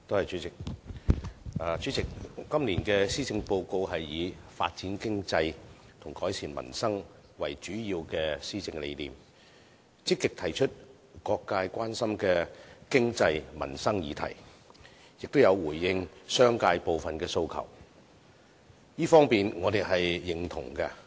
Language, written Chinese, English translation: Cantonese, 主席，今年的施政報告以"發展經濟"和"改善民生"為主要施政理念，積極提出各界關心的經濟民生議題，亦有回應商界部分的訴求，這方面我們是認同的。, President the policy philosophy of the Policy Address this year is developing the economy and improving peoples livelihood . It actively raises various economic and livelihood concerns felt by different social sectors and responds to some aspirations of the business sector